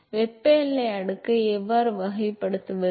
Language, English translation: Tamil, So, how do we characterize thermal boundary layer